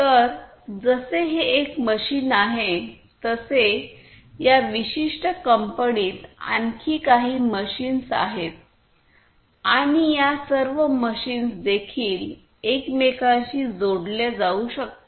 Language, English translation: Marathi, So, this is one machine like this there are few other machines in this particular company and all of these machines could also be interconnected